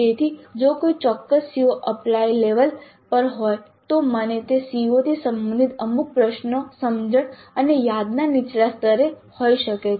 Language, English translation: Gujarati, So if a particular CO is at apply level, I may have certain questions related to the CO at lower levels of understand and remember